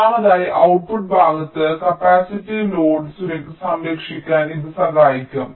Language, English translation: Malayalam, and thirdly, it can help shield capacitive load on the output side